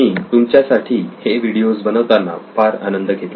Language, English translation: Marathi, I had a lot of fun putting these videos together for you